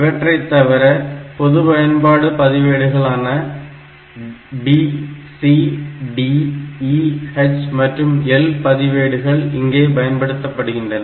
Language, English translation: Tamil, So, other than that we have got this these general purpose registers like B register C register D ,E, H and L so, these registers